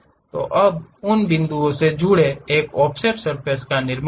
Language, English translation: Hindi, So, now, join those points construct an offset surface